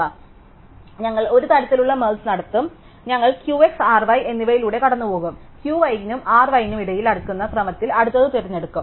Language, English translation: Malayalam, So, we will do a kind of merge, so we will go through Q y and R y we will pick the next one in sorted y order between Q y and R y